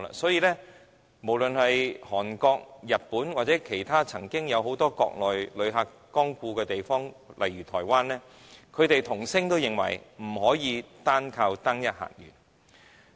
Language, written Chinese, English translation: Cantonese, 所以，無論是韓國、日本，或其他曾有大量國內旅客光顧的地方如台灣，均異口同聲說不能依靠單一客源。, Therefore Korea Japan and countries which have once received large numbers of Mainland visitors such as Taiwan all say that they cannot rely on one single visitor source